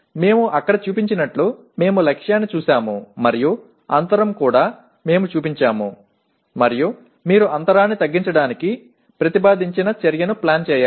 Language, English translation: Telugu, We got the target as we showed there and the gap also we have shown and then you have to plan an action proposed to bridge the gap